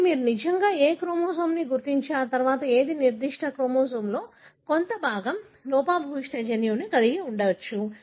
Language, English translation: Telugu, So, how will you really identify which chromosome and then which part of that particular chromosome possibly has got the defective gene